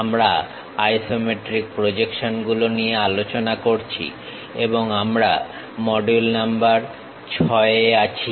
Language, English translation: Bengali, We are covering Isometric Projections and we are in module number 6